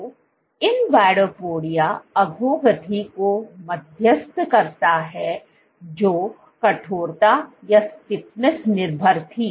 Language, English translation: Hindi, So, invadopodia mediated degradation was stiffness dependent